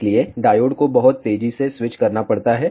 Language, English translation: Hindi, So, the diodes has to be switched very fast